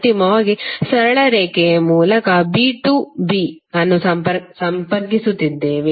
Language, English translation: Kannada, Finally we are connecting a with to b through straight line